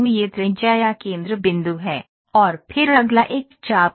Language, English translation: Hindi, This is the radius or the centre point ok, and then the next one is the arc